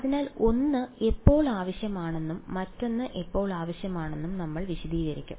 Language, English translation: Malayalam, So, we I will explain when 1 is needed and when one when the other is needed ok